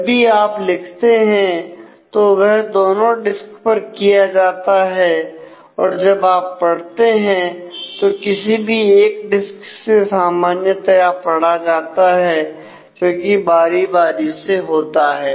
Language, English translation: Hindi, So, every write that you do is carried out to both the disks and when you read the read happens on either of the disk usually it it switches between the disks